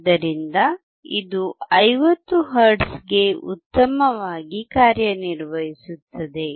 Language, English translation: Kannada, So, it is working well for 50 hertz